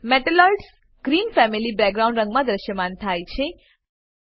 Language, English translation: Gujarati, Metalloids appear in Green family background color